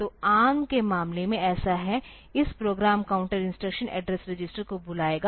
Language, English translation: Hindi, So, in case of ARM, so, is this program counter will call instruction address register